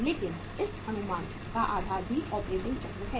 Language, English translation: Hindi, But the base of this estimation is also the operating cycle